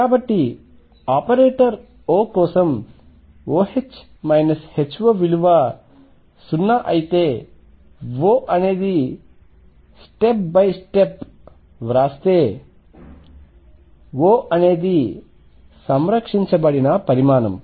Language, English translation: Telugu, So, if let us write step by step if O H minus H O for operator O is 0 O is a conserved quantity